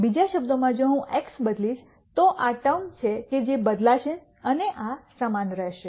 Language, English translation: Gujarati, In other words if I change x these are the terms that will change this will remain the same